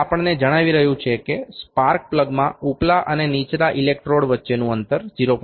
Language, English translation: Gujarati, 6 it is going it is telling us that the gap between the upper and the lower electrode in the spark plug is 0